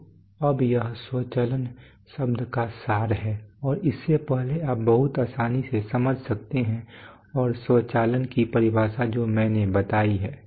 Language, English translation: Hindi, So now this is the this is the essence of the word automation and from this you can very easily understand and the the definition of automation which I have coined